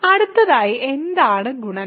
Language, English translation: Malayalam, So, next what is multiplication